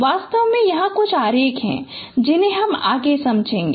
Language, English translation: Hindi, In fact there are some diagrams I will be explaining them